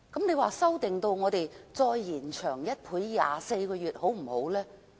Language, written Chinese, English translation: Cantonese, 那麼，再延長1倍至24個月好不好呢？, Yet how about doubling the length of the period to 24 months?